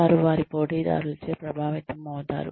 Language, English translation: Telugu, They are influenced by their competitors